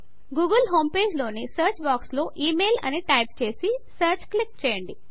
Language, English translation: Telugu, In the search box of the google home page, type email .Click Search